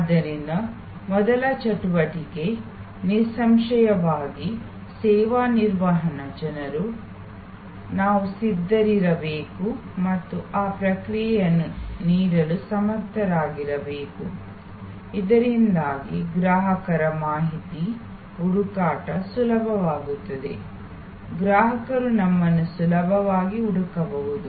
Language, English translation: Kannada, So, the first activity; obviously, where a service management people we have to be stable and able to provide that response, so that the customer's information search is easy, the customer can easily find us